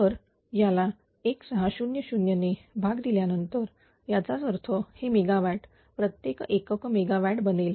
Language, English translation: Marathi, So, we are dividing it by 1600; that means, this megawatt will be converted to power unit megawatt